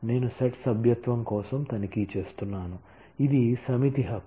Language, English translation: Telugu, I am checking for a set membership; this is a set right